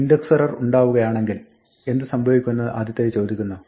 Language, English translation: Malayalam, The first one says what happens if an index error occurs